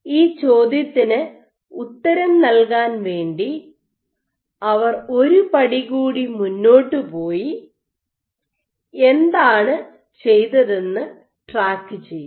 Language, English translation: Malayalam, So, to answer this question what they did say they went one step further and what they did was they tracked